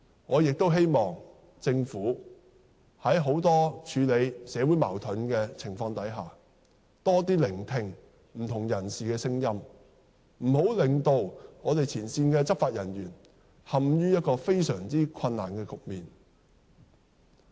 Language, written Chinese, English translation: Cantonese, 我希望政府在處理社會矛盾時多聆聽不同人士的聲音，不要令前線執法人員陷於非常困難的局面。, I hope that the Government can listen more to the voices of different parties in handling social conflicts in order not to plunge frontline law enforcement officers into an impasse